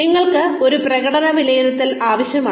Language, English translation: Malayalam, We need a performance appraisal